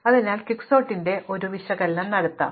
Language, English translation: Malayalam, So, let us do an analysis of Quicksort